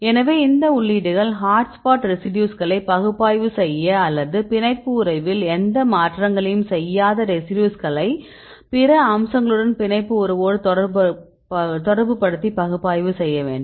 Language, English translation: Tamil, So, these entries are sufficient to do any analysis for example, if you want to analyze hot spot residues or you want the analyze the residues which will not make any changes in the binding affinity or you can also relate to the binding affinity with other features